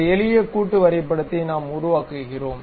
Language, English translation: Tamil, This is the way we construct a simple assembly drawing